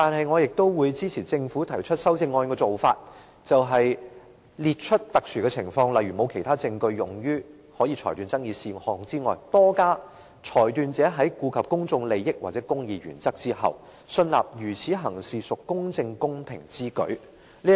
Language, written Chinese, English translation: Cantonese, 我會支持政府提出修正案的做法，在列出特殊的情況，例如沒有其他證據可用於裁斷爭議事項外，多加一項條件：裁斷者在顧及公眾利益或公義原則後，信納如此行事屬公正公平之舉。, I will support the Governments amendment proposal which adds another condition on top of having no evidence for determining an issue under dispute the decision maker is satisfied that it is just and equitable to do so having regard to the public interest or the interests of the administration of justice